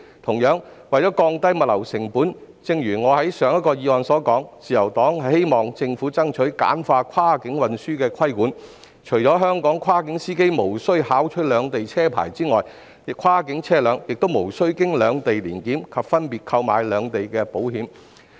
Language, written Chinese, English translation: Cantonese, 此外，為了降低物流成本，正如我就上一項議案發言時所說，自由黨希望政府爭取簡化跨境運輸的規管，除香港跨境司機無須考取兩地的駕駛執照外，跨境車輛亦無須通過兩地的年檢及分別購買兩地的保險。, In addition in order to reduce logistics costs as I said in my speech on the previous motion the Liberal Party hopes that the Government will strive to simplify the regulation of cross - boundary transportation so that Hong Kongs cross - boundary drivers will not be required to obtain driving licences of both places as well as undergo two annual inspections and take out two insurances of both places